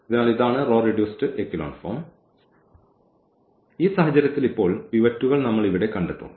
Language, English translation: Malayalam, So, what we will have that this is the row reduced echelon form and in this case now, we will find out these pivots here